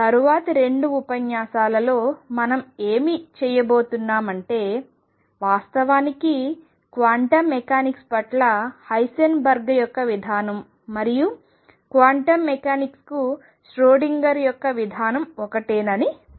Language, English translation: Telugu, What we are going to do in the next 2 lectures is learned that actually Heisenberg’s approach to quantum mechanics and Schrodinger’s approach to quantum mechanics are one and the same thing